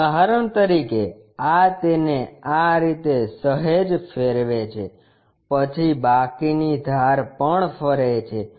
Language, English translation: Gujarati, For example, this one slightly rotate it in this way, then remaining edges also rotates